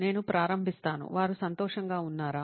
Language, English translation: Telugu, I would, say, start with, are they happy